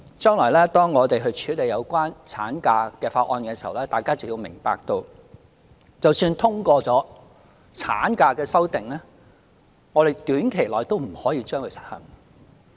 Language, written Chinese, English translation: Cantonese, 將來當我們處理有關產假的法案時，大家便會明白到，即使通過了產假的修訂，我們短期內也不可以實行。, When processing the bill to be introduced later on the extension of maternity leave Members would understand that even if the legislative amendment concerning maternity leave is passed it cannot possibly be implemented within a short period of time